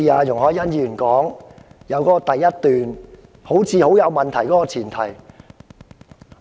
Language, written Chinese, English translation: Cantonese, 容海恩議員所提議案的第一點似乎基於有問題的前設。, It looks like point 1 in Ms YUNG Hoi - yans motion is founded on a problematic premise